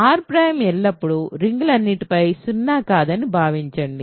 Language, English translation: Telugu, R prime assume always all over rings are not zero